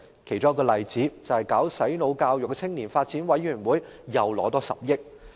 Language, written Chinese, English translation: Cantonese, 其中一個例子是，搞"洗腦"教育的青年發展委員會又獲撥款10億元。, The allocation of 1 billion to the Youth Development Commission which develops brainwashing education is a case in point